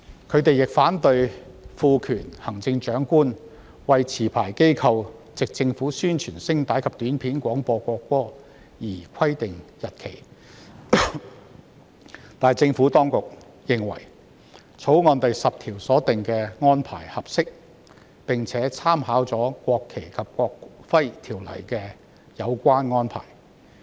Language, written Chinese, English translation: Cantonese, 他們亦反對賦權行政長官為持牌機構藉政府宣傳聲帶及短片廣播國歌而規定日期，但政府當局認為，《條例草案》第10條所訂的安排合適，而政府當局亦參考了《國旗及國徽條例》的有關安排。, They also oppose conferring the power to stipulate a date for the licensees to broadcast the national anthem by APIs to the Chief Executive but the Administration is of the view that the arrangement provided in clause 10 is appropriate and the Administration has made reference to the relevant arrangement under the National Flag and National Emblem Ordinance